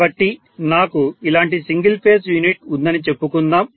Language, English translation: Telugu, So let us say I have one single phase unit something like this